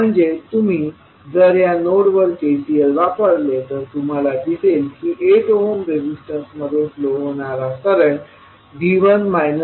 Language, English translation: Marathi, So, if you apply KCL at this node you will see that current flowing in 8 ohm resistance will be V 1 minus V naught by 8